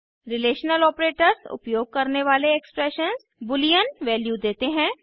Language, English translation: Hindi, Expressions using relational operators return boolean values